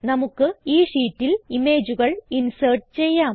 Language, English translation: Malayalam, We will insert images in this sheets